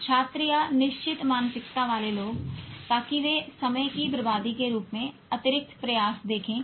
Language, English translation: Hindi, Students or people with fixed mindset, so they will see extra efforts as waste of time